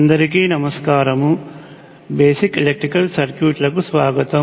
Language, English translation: Telugu, Hello and welcome to Basic Electrical Circuits